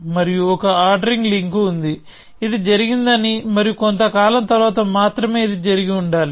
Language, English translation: Telugu, And there is an ordering link which says that this was happened and sometime only later this must have happened